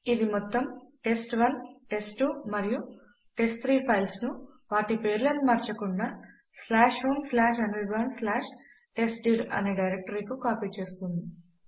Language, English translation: Telugu, This will copy all the three files test1,test2 and test3 to the directory /home/anirban/testdir without changing their names